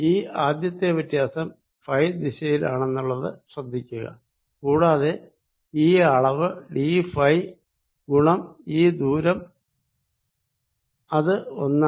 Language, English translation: Malayalam, notice first that this change is in the direction phi and this magnitude is going to be d phi times this length, which is one